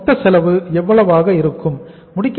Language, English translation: Tamil, Total cost is was how much